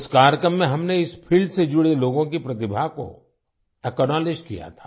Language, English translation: Hindi, In that program, we had acknowledged the talent of the people associated with this field